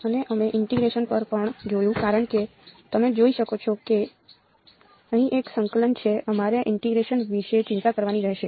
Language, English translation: Gujarati, And we also looked at integration because you can see there is an integration here we will have to worry about integration ok